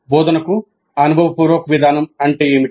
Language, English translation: Telugu, What then is experiential approach to instruction